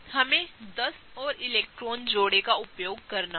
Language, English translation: Hindi, We have to use 10 more electron pairs